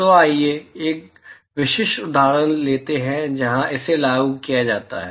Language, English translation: Hindi, So, let us take a specific example where this is applied